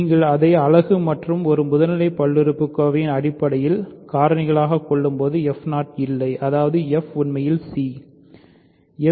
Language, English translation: Tamil, So, when you factor it in terms of into unit and a primitive polynomial, there is no f 0; that means, f is actually c